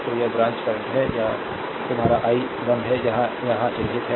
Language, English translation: Hindi, So, these branch current is this is your i 1 , this is marked here, right